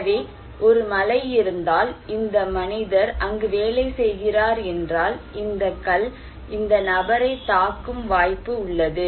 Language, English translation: Tamil, So, if there is a rain, if this human being is working, then there is a possibility that this stone will hit this person